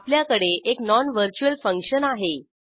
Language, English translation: Marathi, Then we have a non virtual function